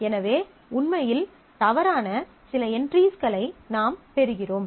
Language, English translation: Tamil, So, I get some entries which are actually erroneous